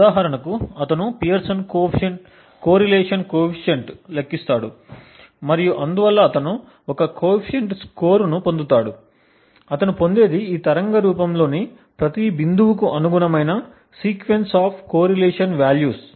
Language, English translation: Telugu, For example, he would compute the Pearson’s correlation coefficient and therefore he would get a coefficient score, does what he would obtain is a sequence of correlation values corresponding to each point in this waveform